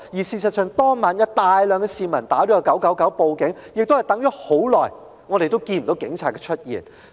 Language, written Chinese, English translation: Cantonese, 事實上，當晚有大量市民致電999報警，等候長時間，亦看不到警察出現。, As a matter of fact many people dialed 999 and called the Police that night but no police officer could be seen despite a long wait